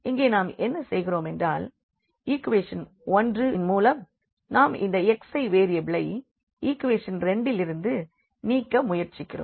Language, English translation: Tamil, So, here what we are doing now with the help of this equation number 1, we are trying to eliminate this x 1 variable from the equation number 2